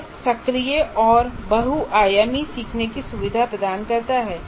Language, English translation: Hindi, And it facilitates, first of all, active learning, multifunctional learning